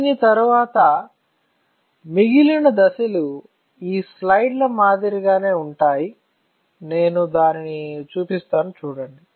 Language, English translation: Telugu, After this, the remaining steps are exactly similar to these slides, see I will show it to you